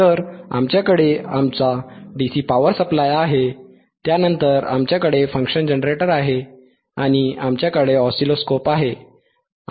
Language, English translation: Marathi, So, we have our DC power supply, then we have function generator, and we have oscilloscope